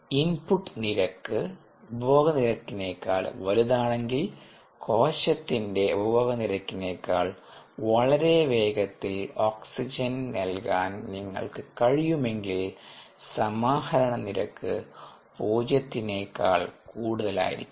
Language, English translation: Malayalam, now, if the rate of input is greater than the rate of consumption, if we can provide oxygen at a much faster rate, then the rate at which it is being consumed by the cell, the accumulation rate is going to be greater than zero